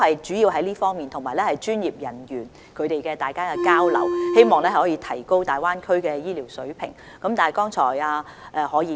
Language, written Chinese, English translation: Cantonese, 主要是這方面的討論，以及專業人員之間的交流，希望可以提高大灣區的醫療水平。, The discussions were mainly focused on this aspect as well as on exchanges among professionals with a view to enhancing the health care standard in the Greater Bay Area